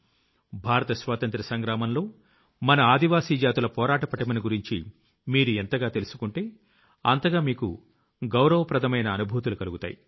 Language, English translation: Telugu, The more you know about the unique contribution of our tribal populace in the freedom struggle of India, the more you will feel proud